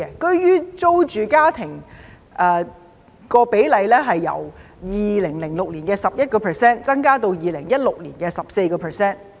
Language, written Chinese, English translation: Cantonese, 居於租住居所的家庭比例由2006年的 11% 增至2016年的 14%。, The percentage of households renting the accommodation they occupy has increased from 11 % in 2006 to 14 % in 2016